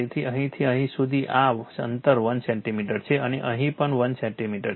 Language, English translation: Gujarati, So, from here to here this gap is 1 centimeter right and here also 1 centimeter